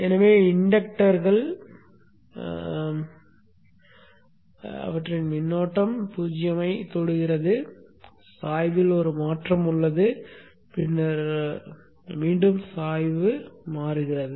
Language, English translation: Tamil, So the inductor current reaches zero, there is a change in the slope and then again change in the slope